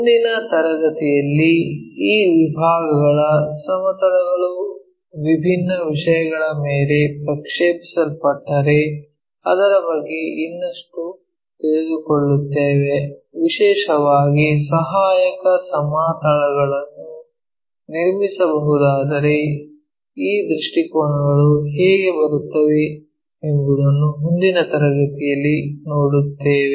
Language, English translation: Kannada, So, in the next class we will learn more about these sectionsplanes if they are projected onto different things especially if auxiliary planes can be constructed how these views really comes in that is we will see in the next class